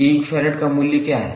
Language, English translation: Hindi, What is the value of 1 farad